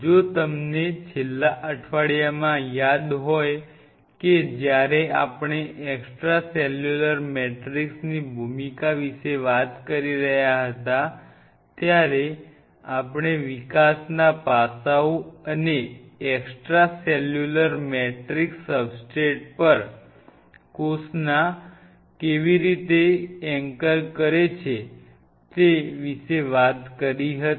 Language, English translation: Gujarati, If you recollect in the last week, while we were discussing about the role of extracellular matrix we talked about the kind of developmental aspects and the way the extracellular matrix anchors the cells on the substrate